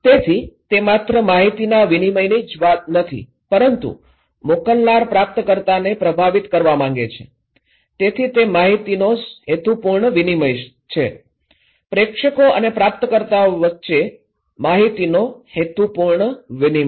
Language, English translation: Gujarati, So, it’s not only a matter of exchange of informations but sender wants to influence the receiver, so it is a purposeful exchange of information, purposeful exchange of informations between senders and receivers